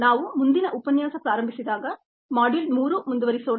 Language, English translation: Kannada, when we begin the next lecture we will take module three forward